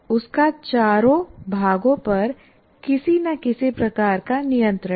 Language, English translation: Hindi, All the four parts, he has some kind of control